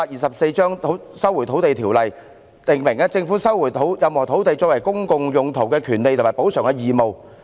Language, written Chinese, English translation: Cantonese, 《收回土地條例》訂明政府收回任何土地作公共用途的權利及補償的義務。, The Lands Resumption Ordinance Cap . 124 has provided for the right of the Government to resume any land for public use and its obligation to make compensation